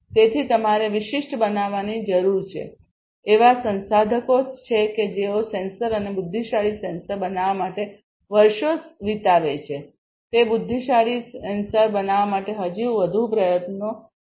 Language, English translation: Gujarati, So, you need to be specialized, you know, there are researchers who spend years together to build a sensor and intelligent sensors it will take even more you know effort to build these intelligent sensors